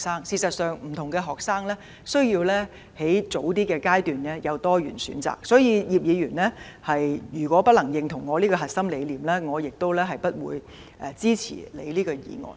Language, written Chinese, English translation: Cantonese, 事實上，不同的學生需要在較早階段有多元的選擇，所以如果葉議員不能認同我的核心理念，我亦不會支持他的修正案。, Actually diversified choices are required for different students at the earlier stage . Therefore if Mr IP does not endorse my core idea I will not support his amendment as well